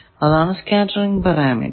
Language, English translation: Malayalam, Now we will see the Scattering Parameter